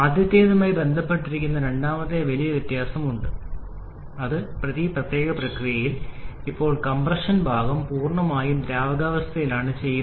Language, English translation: Malayalam, And the second big difference which actually is associated with the first one is in this particular process, here the compression part is done entirely with the liquid state